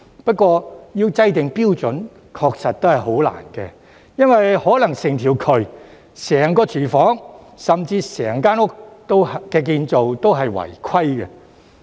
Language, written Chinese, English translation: Cantonese, 不過，要制訂標準確實很難，因為有可能整條渠、整個廚房甚至整間屋的建造都是違規的。, It is indeed difficult to set standards because there is possibility that the whole drain the whole kitchen or even the whole unit violates the regulations